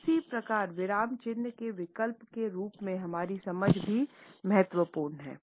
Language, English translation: Hindi, Similarly our understanding of pause as a substitute of the punctuation marks is also important